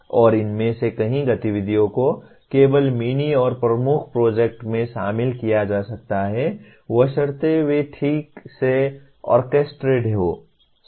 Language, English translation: Hindi, And many of these activities can only be included in mini and major projects provided they are properly orchestrated